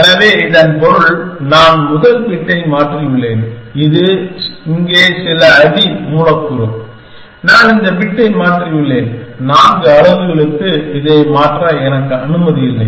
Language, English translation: Tamil, So, that means, I have changed the first bit and this is some substring here, I have changed this bit, I am not allowed to change it for four units